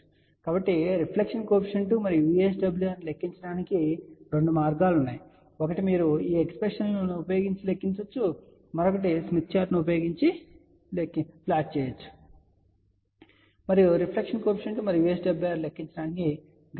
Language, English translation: Telugu, So, there are two ways to calculate reflection coefficient and VSWR ; one is you can calculate using these expression; another one is you can use smith chart and plot these values and use graphical way to calculate reflection coefficient and VSWR